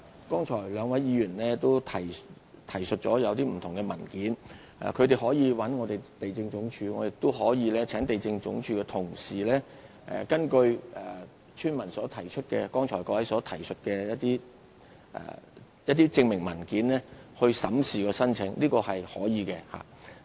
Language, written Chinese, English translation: Cantonese, 剛才兩位議員曾提述不同文件，他們可以聯絡地政總署，我也可以請地政總署的同事根據村民和各位剛才提述的證明文件而審視申請，這是可以的。, The two Members have referred to different documents just now . They can contact LandsD and I can ask my colleagues in LandsD to examine afresh the application based the document proofs mentioned by the villagers and Members . It is advisable to do so